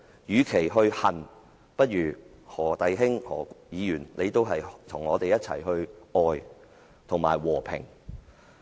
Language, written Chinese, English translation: Cantonese, 與其去恨，不如何弟兄與我們一同去愛及締造和平。, Instead of hatred why does brother HO not join us to love and make peace?